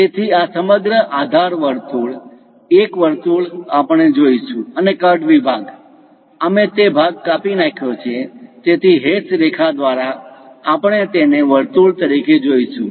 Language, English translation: Gujarati, So, this entire circular base; one circle we will see and the cut section, we removed the portion, so through hash lines, we see it as circle